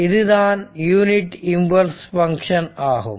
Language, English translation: Tamil, So, it is unit impulse function